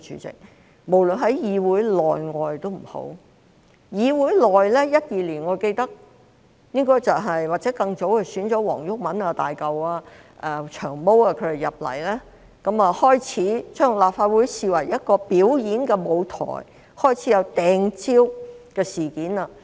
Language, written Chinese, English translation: Cantonese, 在議會內，我記得2012年或更早期，便選了黃毓民、"大嚿"和"長毛"進入議會，他們把立法會視為一個表演舞台，開始出現"掟蕉"事件。, I remember Members like WONG Yuk - man Hulk and Long Hair were elected into this Council in 2012 or at an earlier time . They treated the Legislative Council as a stage for performance and incidents of banana - hurling started to occur